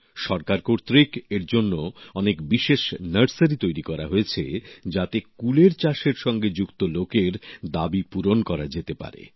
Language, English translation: Bengali, Many special nurseries have been started by the government for this purpose so that the demand of the people associated with the cultivation of Ber can be met